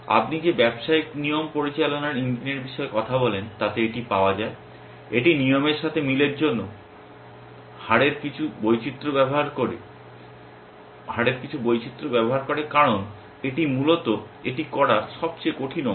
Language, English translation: Bengali, It is available in any these business rule management engine you talk about, it uses some variation of rate for matching rules because it is really the hardest part of doing that essentially